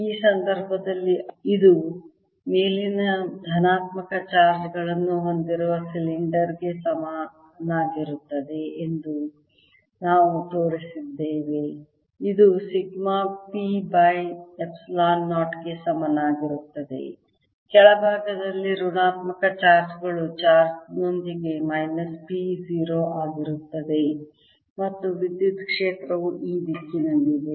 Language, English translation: Kannada, this way, in this case, we showed that this was equivalent to the cylinder with positive charges on top, which sigma equals p over epsilon, zero negative charges on the bottom, with charge being minus p upon zero, and the electric field therefore is in this direction